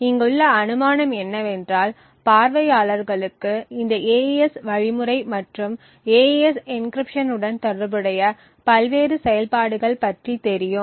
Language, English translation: Tamil, The assumption here is that the viewers know about this AES algorithm and the various operations that are involved with an AES encryption